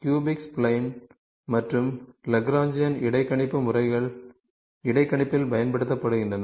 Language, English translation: Tamil, Cubic spline, and Lagrangian interpolation methods are used in interpolation